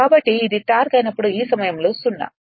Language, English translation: Telugu, So, when this is your torque is 0 at this point